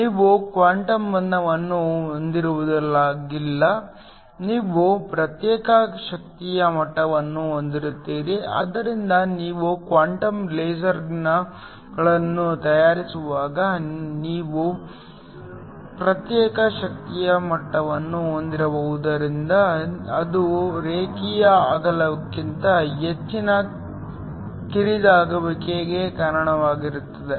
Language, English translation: Kannada, Whenever you have quantum confinement, you have discrete energy levels so that when you make quantum lasers because you have discrete energy levels it also leads to a much narrow over line width